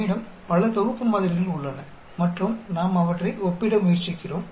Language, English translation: Tamil, We have several sets of samples and we are trying to compare them